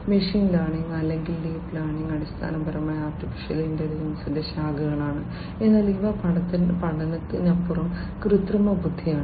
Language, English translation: Malayalam, Machine learning or deep learning are basically branches of artificial intelligence, but then they are in artificial intelligence beyond learning there are different issues